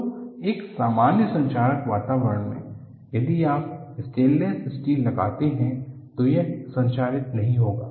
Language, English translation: Hindi, So, in a normal corrosive environment, if you put a stainless steel, it will not get corroded but what has happen in this case